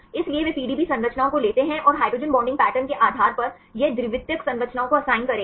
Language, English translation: Hindi, So, they take the PDB structures and based on the hydrogen bonding pattern it will assign the secondary structures right